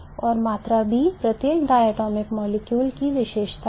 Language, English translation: Hindi, It is correct and the quantity B is a characteristic of every diatomic molecule